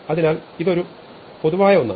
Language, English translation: Malayalam, So, this is a general expression